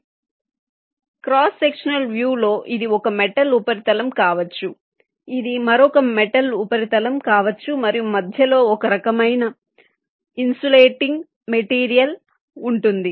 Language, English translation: Telugu, so if i have a cross sectional view, ok, so in a cross sectional view, this can be one metal surface, this can be another metal surface, ok, and there will be some kind of a insulating material in between